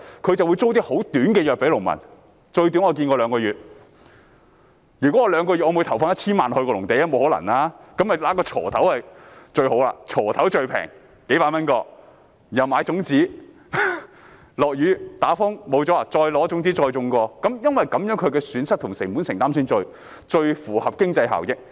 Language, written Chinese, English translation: Cantonese, 這是不可能的，於是農民只會購買價值數百元的鋤頭及種子，一旦下雨、刮颱風導致農作物失收就再重新耕種，因為只有這樣做，損失和成本承擔才最符合經濟效益。, It is impossible to do so . Then the farmers will only buy a hoe and some seeds and if their crops are ruined by rain and storms they will start planting all over again . Only by doing so will the loss and committed costs be absorbed in the most cost - effective way